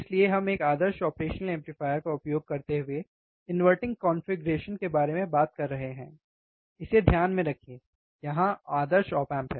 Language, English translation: Hindi, Thus we are talking about inverting configuration using ideal operational amplifier, mind it, here ideal op amp